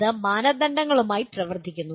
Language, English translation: Malayalam, That is working with standards